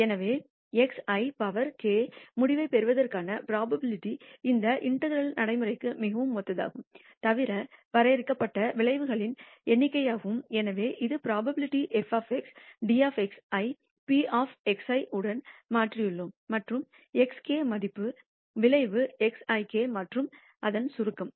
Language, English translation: Tamil, So, x I power k probability of obtaining the outcome x I which is very similar to this integration procedure except that the finite number of outcomes and therefore, we have replaced the probability f of xdx with p of x I and the value x power k with the outcome x I power k and integral as a summation